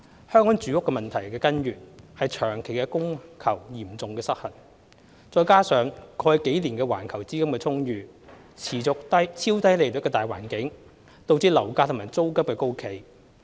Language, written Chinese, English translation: Cantonese, 香港住屋問題的根源是長期供求嚴重失衡，再加上過去幾年環球資金充裕、持續超低利率的大環境，導致樓價和租金高企。, The root of the housing problem in Hong Kong is the long - standing serious imbalance between supply and demand . This coupled with the abundant global liquidity and persistent low interest rate in the past few years has led to the high level of property prices and rents